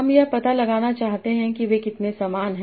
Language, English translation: Hindi, I want to find out how similar they are